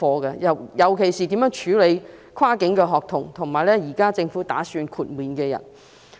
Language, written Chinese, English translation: Cantonese, 尤其要注意的，是如何處理跨境學童和現在政府打算讓其豁免檢疫的人士。, Particular attention should be paid to how cross - boundary students and people whom the Government presently intends to exempt from quarantine should be handled